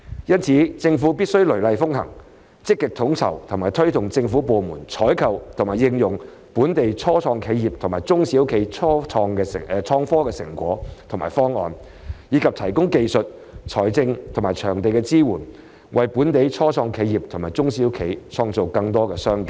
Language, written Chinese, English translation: Cantonese, 因此，政府必須雷厲風行，積極統籌及推動政府部門採購和應用本地初創企業及中小企的創科產品及方案，以及提供技術丶財政及場地支援，為本地初創企業及中小企創造更多商機。, Therefore the Government must be exceptionally vigorous in coordinating and promoting the procurement and application by government departments of information and technology products and solutions from local start - ups and small and medium - sized enterprises SMEs and provide technical financial and venue support thereby creating more business opportunities for local start - ups and SMEs